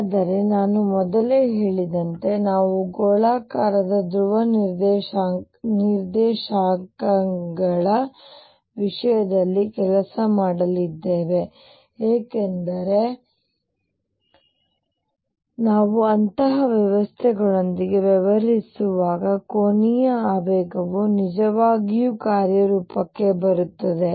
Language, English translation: Kannada, But as I said earlier we are going to work in terms of spherical polar coordinates because angular momentum really comes into play when we are dealing with such systems